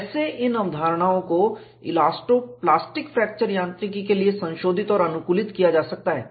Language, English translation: Hindi, And, these concepts are extended for elasto plastic fracture mechanics